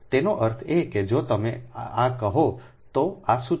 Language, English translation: Gujarati, right, that means this one, this formula